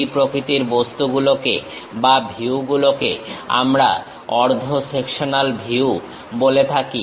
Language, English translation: Bengali, Such kind of objects or views we call half sectional views